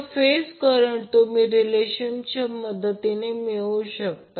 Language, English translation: Marathi, Now from the phase currents you can find out the value of line current